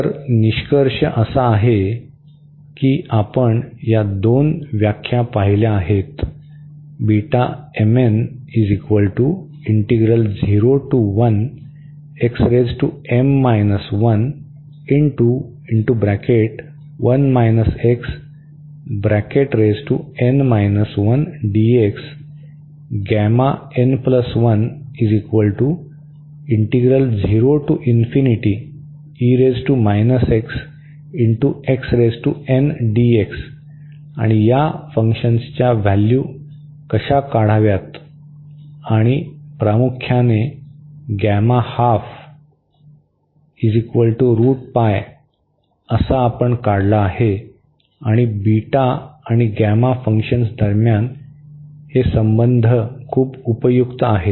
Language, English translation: Marathi, So, the conclusion is that we have seen these two definitions of the beta function and how to evaluate these functions and mainly the interesting was that the gamma half we have a computer that this square root pi and also this relation is very useful between beta and the gamma functions